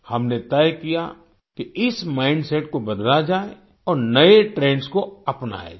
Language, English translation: Hindi, We decided that this mindset has to be changed and new trends have to be adopted